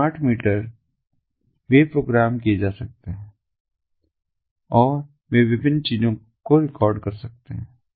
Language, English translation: Hindi, these smart meters, they can be programmable and they can record different things